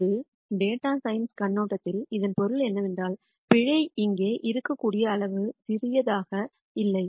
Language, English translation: Tamil, From a data science viewpoint what it means is that the error is not as small as it could be here